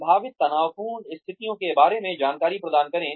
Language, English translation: Hindi, Provide heads up information regarding potential, stressful conditions